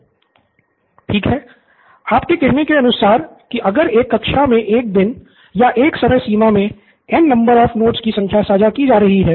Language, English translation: Hindi, Ok, so in terms of you saying that in a class if there are N number of notes being shared on a day or on a timescale